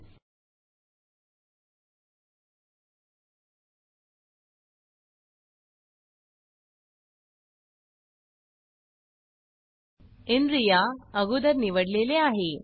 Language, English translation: Marathi, Okay, so inria is already selected